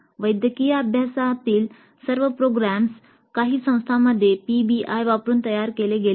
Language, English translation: Marathi, Entire programs in medical profession have been designed using PBI in some institutes